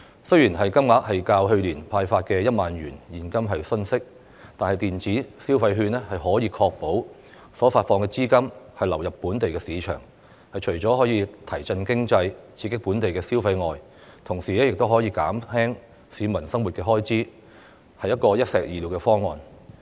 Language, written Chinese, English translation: Cantonese, 雖然金額較去年派發現金的1萬元遜色，但在執行上卻可確保發放的資金流入本地市場。除可提振經濟、刺激本地消費外，亦可以減輕市民的生活開支，是一箭雙鵰的方案。, Although the amount is smaller than the 10,000 cash handed out last year this practice can ensure that the funding disbursed will enter the local market serving the dual purposes of boosting the economy and local consumption and reducing peoples living expenses